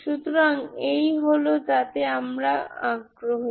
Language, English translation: Bengali, So this is what is we are interested